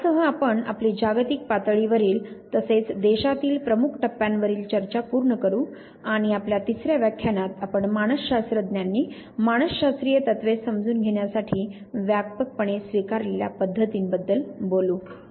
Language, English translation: Marathi, So, with this we complete our discussion on the major milestones globally as well as within the country and now in our third lecture that we would be talking about the methods that psychologist have broadly adopted to understand the psychological principles